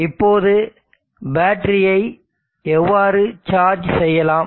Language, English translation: Tamil, Now how do we charge the battery